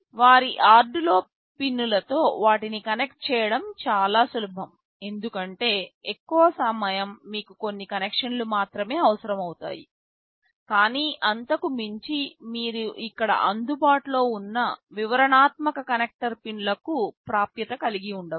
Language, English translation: Telugu, Having them connected to their Arduino pins will be easier because, most of the time you will be needing only a few connections, but beyond that you may have to have access to the detailed connector pins which are available here